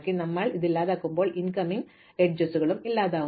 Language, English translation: Malayalam, So, when we delete this, we also delete the incoming edges